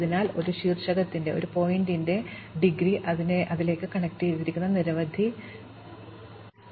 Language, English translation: Malayalam, So, the degree of a vertex is the number of vertices connected to it